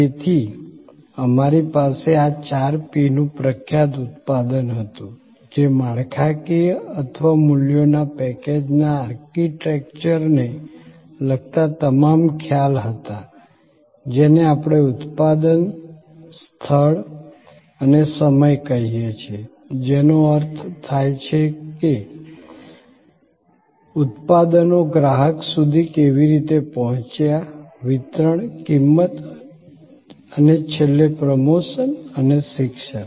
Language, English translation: Gujarati, So, we had this four P’s famous product, which was all the concepts related to structuring or the architecture of the package of values, which we call product, Place and Time, which meant the way products reached the consumer, the Distribution, Price and lastly Promotion and Education